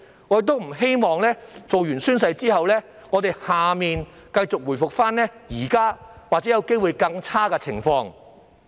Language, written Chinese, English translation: Cantonese, 我不希望在完成宣誓後，區議會會繼續出現現時的情況，甚或更差的情況。, I do not wish to see the recurrence of the present situation and something even worse happen in DCs after they take the oath